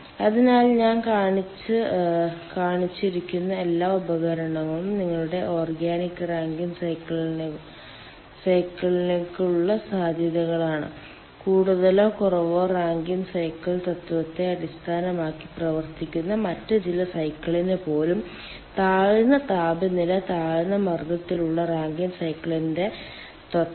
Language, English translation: Malayalam, all these are ah possibilities for your ah organic rankine cycle, even for some other cycle which are operating based on more or less rankine cycle principle, principle of rankine cycle at low temperature, low pressure range